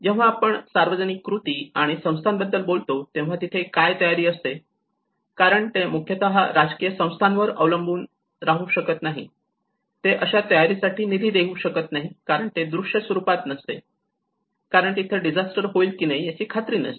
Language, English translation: Marathi, And when we talk about the public actions and institutions, this is where the preparedness because majority of the political institutions they do not rely on, they do not fund for the preparedness program because that is not much visible because they are not sure whether disaster is going to happen or not